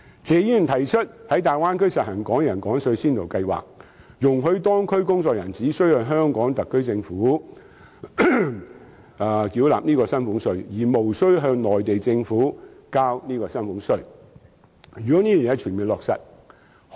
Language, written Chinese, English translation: Cantonese, 謝議員提出"爭取在大灣區實行'港人港稅'先導計劃，容許在當區工作的香港人，只須向香港特區政府繳納薪俸稅，而無須向內地政府繳交薪俸稅"。, A proposal put forth by Mr TSE is striving for the implementation of a pilot scheme on Hong Kong taxation for Hong Kong people in the Bay Area which allows Hong Kong people working in the region to pay salaries tax only to the HKSAR Government without having to pay any such tax to the Mainland Government